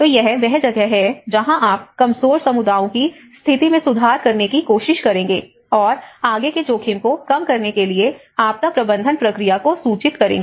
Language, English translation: Hindi, So, that is where one will try to you know improve the resilience of vulnerable communities and inform the disaster management process to reduce the further risks